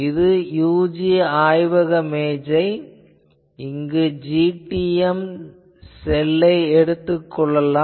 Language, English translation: Tamil, Whereas, this is on a UC lab table you can also have a GTEM cell